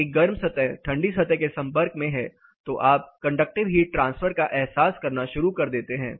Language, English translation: Hindi, A hotter surface is in touch with the colder surface then you start realizing the conductive heat transfer